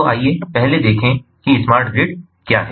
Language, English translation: Hindi, so let us first look at what smart grid is all about